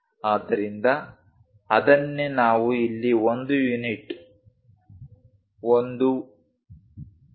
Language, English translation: Kannada, So, that is what we are showing here as 1 unit 1